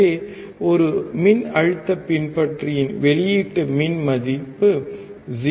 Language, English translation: Tamil, So, output resistance of a voltage follower is 0